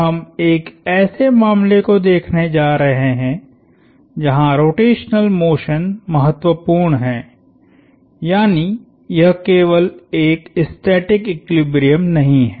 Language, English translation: Hindi, We are going to look at a case where the rotational motion is nontrivial, that is it is not simply a static equilibrium